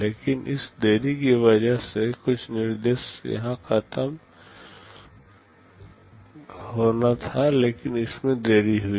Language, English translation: Hindi, But because of this delay this instruction was supposed to finish here, but it got delayed